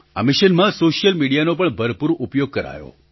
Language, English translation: Gujarati, In this mission, ample use was also made of the social media